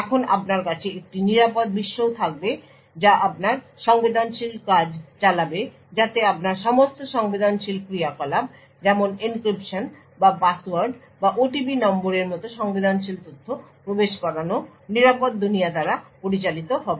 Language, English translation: Bengali, Now you would have a secure world as well which would run your sensitive task so all your sensitive operations such as for example encryption or entering sensitive data like passwords or OTP numbers would be handled by the secure world